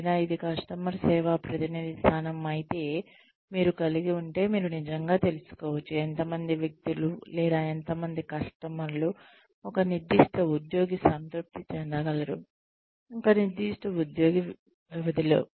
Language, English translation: Telugu, Or, if it is a customer service representative position, that you have, you could actually find out, how many people were, or how many customers was, a particular employee able to satisfy, in a given period of time